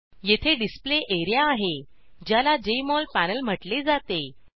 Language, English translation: Marathi, Here is the Display area, which is referred to as Jmol panel